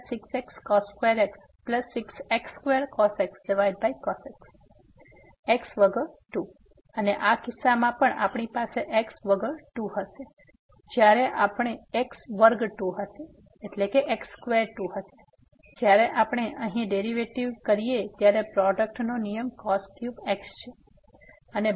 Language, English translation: Gujarati, And in this case also we will have 2 without x when we do this derivative here the product rule cube